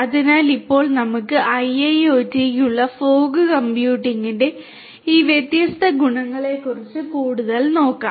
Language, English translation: Malayalam, So, now, let us look further at these different advantages of fog computing for IIoT